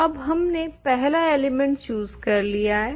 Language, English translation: Hindi, So now, we have chosen the first element